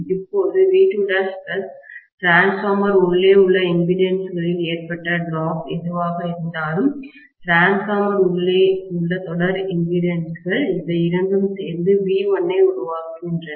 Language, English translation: Tamil, Now, V2 dash plus whatever is the drop that has taken place in the impedances within the transformer, series impedances within the transformer, these two added together gives rise to V1, right